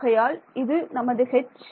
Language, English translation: Tamil, So, there is an x